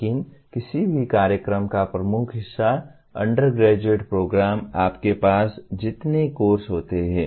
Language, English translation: Hindi, But the dominant part of any program, undergraduate program are the number of courses that you have